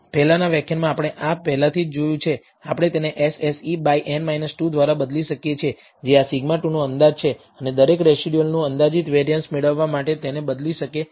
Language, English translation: Gujarati, We have already seen this in the previous lecture, we can replace this by s s e by n minus 2, which is an estimate of this sigma squared and substitute this to get an estimated variance of each residual